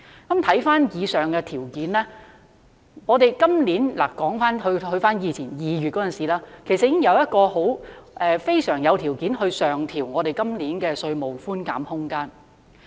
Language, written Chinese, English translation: Cantonese, 看回上述條件，我們今年——說回2月期間——其實我們已十分具備條件上調今年的稅務寬減空間。, In view of the conditions mentioned just now this year―dating back to February―we actually had favourable conditions for an upward adjustment of tax reductions this year